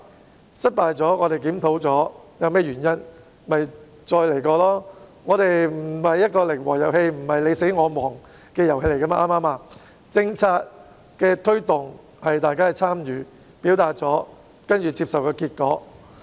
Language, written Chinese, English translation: Cantonese, 在失敗後，我們檢討究竟原因何在，然後重新再來便可，因為這既不是一個零和遊戲，亦不是你死我亡，政策的推動是由大家參與，在表達意見後接受結果。, We should conduct a review of the reasons leading to the failure after encountering a setback and start all over again subsequently as this is neither a zero - sum game nor a situation where all parties will perish . The promotion of policies requires the participation of everyone their expression of opinions and then their acceptance of the outcome